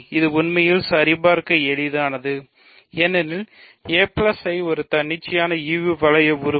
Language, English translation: Tamil, This is actually easy to check because a plus I is an arbitrary quotient ring element